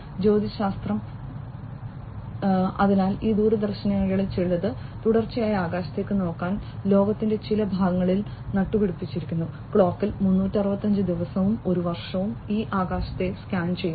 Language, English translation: Malayalam, Astronomy, you know, so some of these telescopes have been planted in certain parts of the world to look at the sky continuously, round the clock 365 days, a year these are scanning the sky